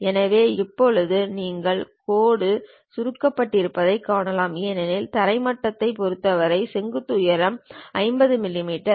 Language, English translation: Tamil, So, now you see the line is shortened because the vertical height with respect to the ground level is 50 millimeters